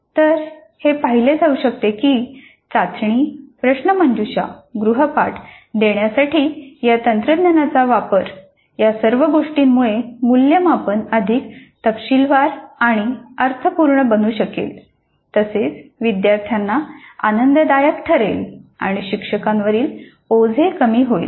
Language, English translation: Marathi, So it can be seen that the use of technology in administering test, quiz assignments all this can make the assessment both deeper and meaningful, enjoyable to the students and reduce the burden on the faculty